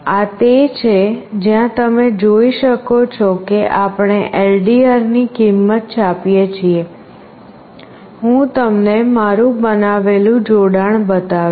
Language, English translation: Gujarati, This is where you can see that we are printing the value of LDR, I will show you the connection that I have made